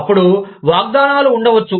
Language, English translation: Telugu, Then, there could be promises